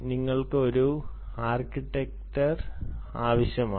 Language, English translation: Malayalam, you need a architecture